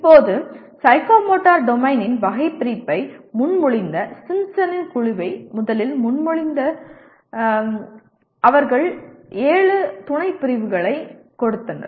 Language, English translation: Tamil, Now Simpson who first proposed the Simpson’s group that proposed the taxonomy of psychomotor domain, they gave seven subcategories